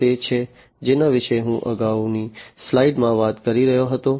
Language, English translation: Gujarati, This is what I actually I was talking about in the previous slide